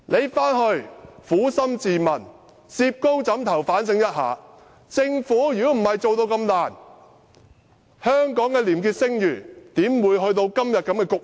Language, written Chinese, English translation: Cantonese, 請她撫心自問，如果不是政府表現那麼差勁，香港的廉潔聲譽怎會走到今天的局面？, I hope she would be honest with herself Will Hong Kongs clean reputation be declining if the Governments performance has not been so poor?